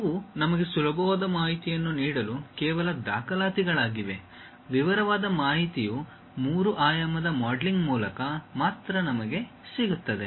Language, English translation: Kannada, These are just a documentation to give us easy information, the detailed information we will get only through three dimensional modelling